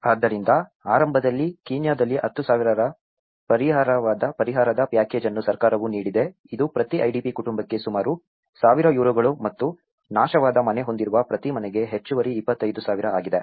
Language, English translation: Kannada, So, initially, there is a compensation package issued by the government about in a Kenyan of 10,000 which is about 100 Euros per IDP household and an additional 25,000 for each household with a destroyed house